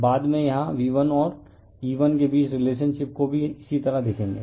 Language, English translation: Hindi, Later we will see the relationship between V1 and E1 similarly here